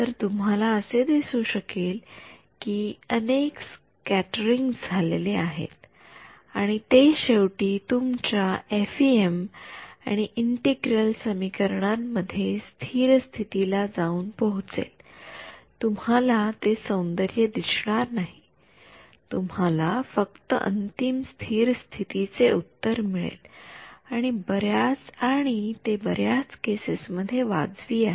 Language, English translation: Marathi, So, you can visualize multiple scatterings is happening and then finally, reaching a steady state value in your FEM and integral equations you do not get to see that beauty you just get final steady state solution and which is reasonable in most cases reasonable ok